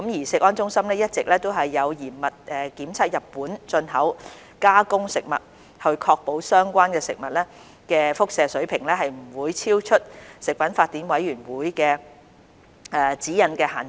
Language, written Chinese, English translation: Cantonese, 食安中心一直有嚴密檢測日本進口加工食物，以確保相關食物的輻射水平不會超出國際食品法典委員會的指引限值。, CFS has been putting processed food imported from Japan under strict surveillance in order to ensure that the radiation levels of the food products will not exceed the guideline levels laid down by the Codex Alimentarius Commission